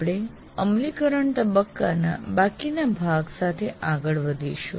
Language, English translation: Gujarati, We will continue to look at the remaining part of the implement phase